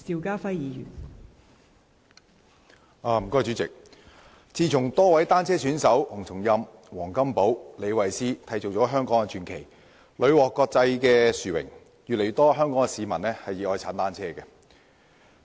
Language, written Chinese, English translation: Cantonese, 代理主席，自從多位單車選手洪松蔭、黃金寶和李慧詩締造香港傳奇，屢獲國際殊榮，越來越多香港市民熱愛踏單車。, Deputy President since cyclist athletes HUNG Chung - yam WONG Kam - po and Sarah LEE winning a great deal of international awards have created legends for Hong Kong more and more people in Hong Kong have become cycling enthusiasts